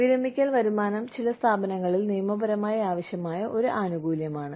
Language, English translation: Malayalam, Our retirement income is a legally required benefit, in some organizations